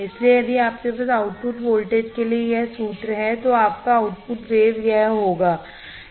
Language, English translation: Hindi, So, if you have this formula for output voltage, your output waveform would be this